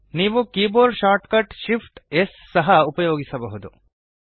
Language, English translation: Kannada, You can also use the keyboard shortcut Shift S